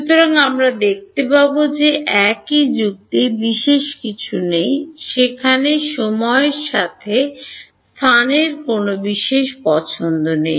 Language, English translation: Bengali, So, we will see that the same logic there is nothing special there is no special preference to space over time